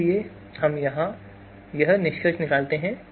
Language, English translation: Hindi, So we conclude here